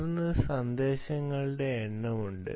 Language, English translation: Malayalam, and then there are number of messages